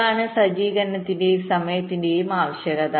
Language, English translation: Malayalam, ok, this is the requirement of setup and hold time